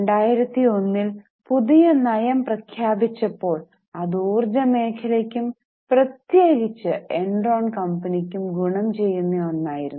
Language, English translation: Malayalam, And the energy policy which was declared in May 2001 was very much in favour of energy sector, particularly favouring Enron